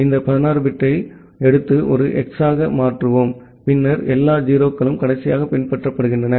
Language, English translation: Tamil, Then we take this 16 bit and convert it to a hex and then all 0’s followed by last ones